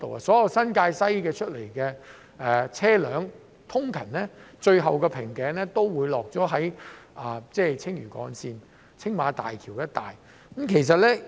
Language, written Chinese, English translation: Cantonese, 所有從新界西出來的車輛，最後的瓶頸通常也會在青嶼幹線和青馬大橋一帶出現。, All the vehicles from New Territories West are ultimately caught in a bottleneck that usually appears around the Lantau Link and the Tsing Ma Bridge